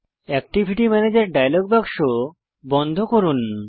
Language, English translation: Bengali, Lets close the Activity Manager dialog box